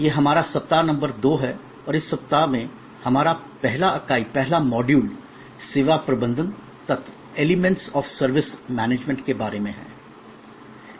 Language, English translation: Hindi, This is our week number 2 and our first module in this week is about Services Management, the Elements of Services Management